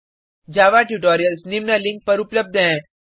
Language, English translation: Hindi, Java tutorials are available at the following link